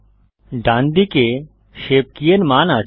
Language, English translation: Bengali, On the right side is the value of the shape key